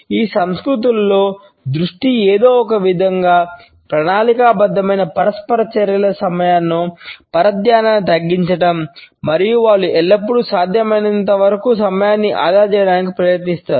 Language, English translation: Telugu, The focus in these cultures is somehow to reduce distractions during plant interactions and they always try to save time as much as possible